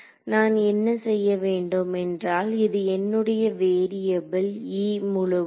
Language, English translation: Tamil, So, all I have to do is since my variable is E total